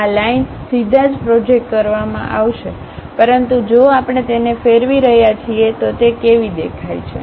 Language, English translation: Gujarati, These lines will be projected straight away; but if we are revolving it, how it looks like